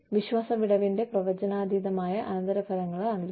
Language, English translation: Malayalam, There are predictable consequence of the trust gap